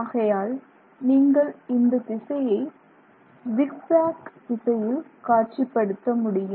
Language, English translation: Tamil, So, therefore you can visualize this direction as zigzag direction